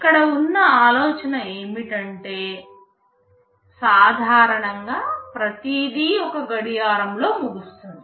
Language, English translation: Telugu, The idea is that normally everything finishes in one clock